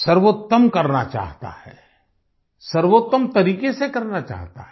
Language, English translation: Hindi, They want to do the best, using the best methods